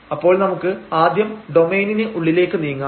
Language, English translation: Malayalam, So, let us move to inside the domain first